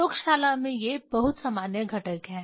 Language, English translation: Hindi, These are the very common components in the laboratory